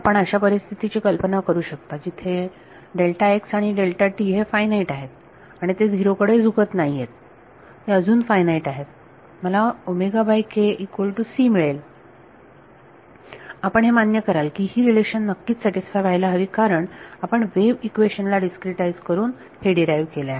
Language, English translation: Marathi, So, can you think of a situation where delta x and delta t is finite they are not tending to 0 they are finite still I get omega by k is equal to c, this relation has to be satisfied you will agree because you have derived it by discretizing the wave equation